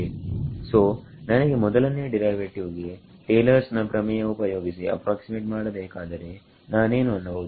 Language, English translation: Kannada, So, if I wanted an approximation for the first derivative using Taylor’s theorem, what can I say